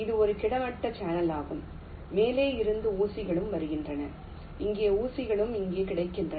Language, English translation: Tamil, it is a horizontal channel, with pins are coming from top and here the pins are available here and you will have to connect them